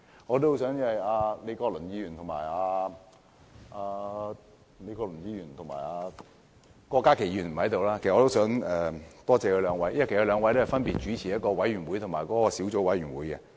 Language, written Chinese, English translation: Cantonese, 我也多謝李國麟議員和郭家麒議員——他們不在席——因為他們分別主持了一個委員會及小組委員會。, I would also like to thank Prof Joseph LEE and Dr KWOK Ka - ki who are not present for chairing the panel and the Subcommittee respectively